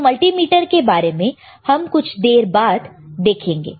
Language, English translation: Hindi, So, we will see about multimeter in a while